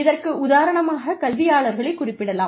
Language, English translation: Tamil, Again, I will take the example of academicians